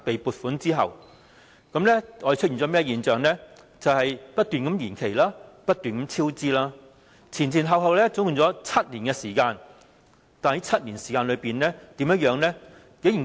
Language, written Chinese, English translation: Cantonese, 便是工程不斷延期、不斷超支，前後共花了7年時間，但這7年間的情況是怎樣的呢？, Endless works delay and endless cost overrun ensued . Totally seven years then passed but what happened to the co - location issue in these seven years?